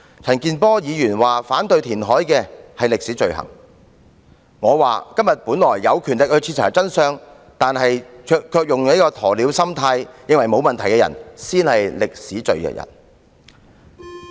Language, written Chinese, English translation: Cantonese, 陳健波議員說反對填海的是歷史罪人，但我認為今天本來有權力徹查真相，但卻以鴕鳥心態認為沒有問題的人，才是歷史罪人。, Mr CHAN Kin - por made the remark that those opposing reclamation will become sinners in history . Yet I reckon those who possess the power to find out the truth today but act like ostriches and turn a blind eye to the problems are sinners in history instead